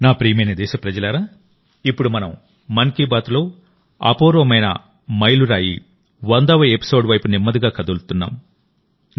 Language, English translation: Telugu, My dear countrymen, now we are slowly moving towards the unprecedented milestone of the 100th episode of 'Mann Ki Baat'